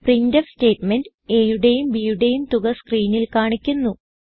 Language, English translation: Malayalam, This printf statement displays the sum of a and b on the screen